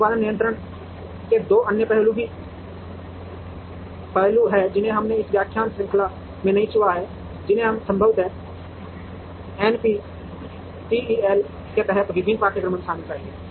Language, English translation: Hindi, There are two other aspects of production control, which we have not touched upon in this lecture series which we would possibly in different courses under NPTEL